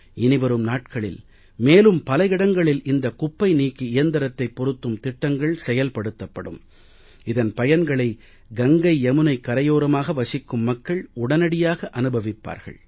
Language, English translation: Tamil, In the coming days, we have plans to deploy such trash skimmers at other places also and the benefits of it will be felt by the people living on the banks of Ganga and Yamuna